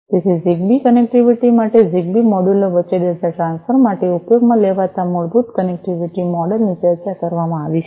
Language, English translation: Gujarati, So, for ZigBee connectivity, the basic connectivity model that will be used for data transfer between the ZigBee modules is discussed